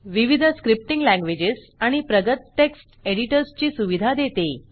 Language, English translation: Marathi, Supports various scripting languages and advanced text editors